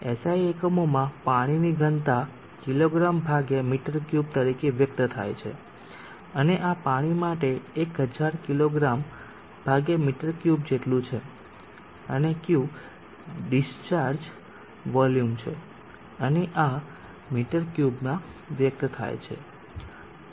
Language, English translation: Gujarati, into the volume Q density of water in a SI units expressed as kg/m3 and this is equal to 1000kg/m3 for water and Q is called the discharge volume and this is expressed in m3 so if you substitute it her for mass as